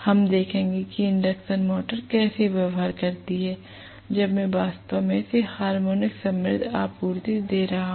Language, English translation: Hindi, We will look at how the induction motor behaves when I am actually feeding it with harmonic rich supplies